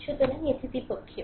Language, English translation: Bengali, So, it is also bilateral